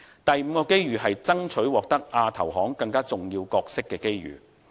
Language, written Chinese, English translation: Cantonese, 第五個機遇，就是爭取獲得亞投行更重要角色的機遇。, The fifth opportunity is the opportunity of seeking to play a more important role in the Asian Infrastructure Investment Bank AIIB